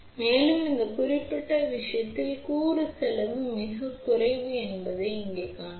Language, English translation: Tamil, And, you can see that component cost is very small in this particular case here